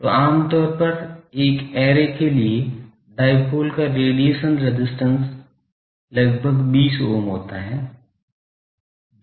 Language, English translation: Hindi, So, typically for a, give the array, the radiation resistance of the dipole is something like 20 ohm, so quite small